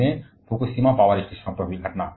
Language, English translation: Hindi, And the very recent one at Fukushima power stations